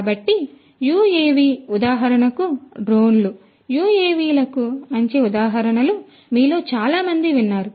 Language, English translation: Telugu, So, you UAVs; drones for example, which most of you have heard of are good examples of UAVs